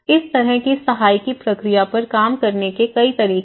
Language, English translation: Hindi, So, there are many ways these kind of subsidy process also worked